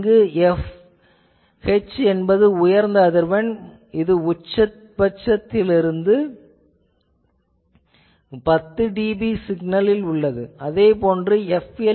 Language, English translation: Tamil, So, f H is a highest frequency at which 10 dB from the maximum of the signal is there signal similarly f L